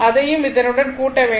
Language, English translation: Tamil, 2 and this one you add